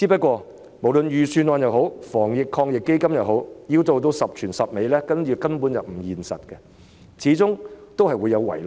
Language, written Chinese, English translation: Cantonese, 可是，無論預算案也好，防疫抗疫基金也好，要做到十全十美，根本並不現實，始終會有所遺漏。, However be it the Budget or the Anti - epidemic Fund it is basically unrealistic for us to seek perfection as loopholes are bound to exist